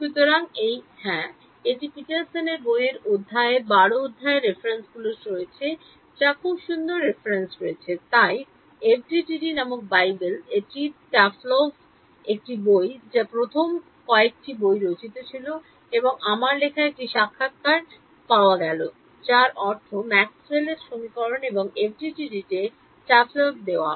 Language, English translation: Bengali, So, these yeah so, these are the sort of references for this chapter 12 of Petersons book which is very nice reference there is the so, called Bible of FDTD it is a book by Taflove which was one of the first few books written and I found a interview written by I mean given by Taflove on Maxwell’s equations and FDTD